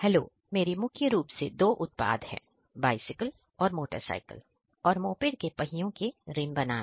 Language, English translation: Hindi, Hello, today our main products are a bicycle, motorcycle and moped wheel rims